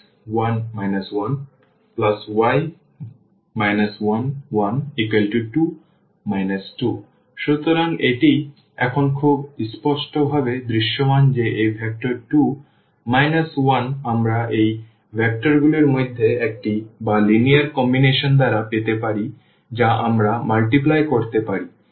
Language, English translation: Bengali, So, it is very clearly visible now that this vector 2 minus 1 we can get by one of these vectors or by the linear combinations we can multiplies